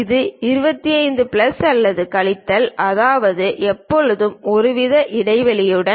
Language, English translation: Tamil, This supposed to be 25 plus or minus; that means, there always with some kind of gap